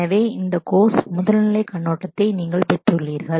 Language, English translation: Tamil, So, this is you have got a very first level overview of this course